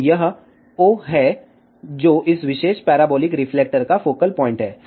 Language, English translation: Hindi, So, this is o, which is a focal point of this particular parabolic reflector